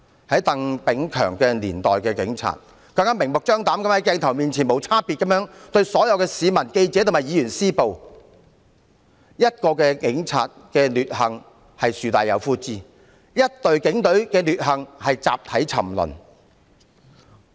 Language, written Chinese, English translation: Cantonese, 在鄧炳強年代的警察，更明目張膽地在鏡頭前無差別向所有市民、記者及議員施暴，一名警察的劣行是樹大有枯枝，一隊警隊的劣行是集體沉淪。, In the era of Chris TANG the Police are making discriminate assaults to members of the public reporters and Members in front of cameras even more openly and boldly . If one policeman is acting despicably he or she is regarded as a black sheep; if the whole Police Force is acting despicably they are sinking into degradation collectively